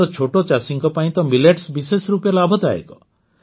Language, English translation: Odia, For our small farmers, millets are especially beneficial